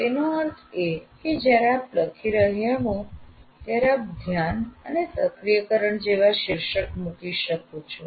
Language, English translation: Gujarati, That means when you are writing, you can actually put title like attention and activation